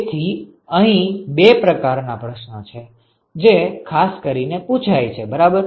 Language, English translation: Gujarati, So, there are two kinds of questions one could typically ask ok